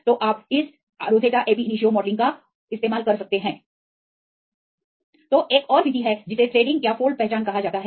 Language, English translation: Hindi, So, there is another method that is called a threading or the fold recognition